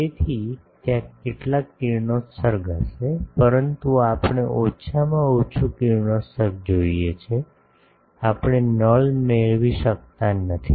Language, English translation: Gujarati, So, there will be some radiation, but we want minimum radiation, we cannot get a null